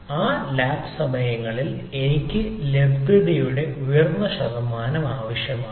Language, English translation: Malayalam, so during those lab hour i require a high percentage of availability